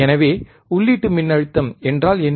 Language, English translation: Tamil, So, what is input voltage